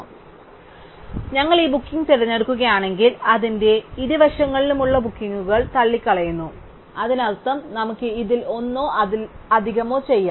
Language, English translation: Malayalam, So, if we choose this booking, then we rule out the bookings on either side of it and that means, there we also, we can do either this one or one of these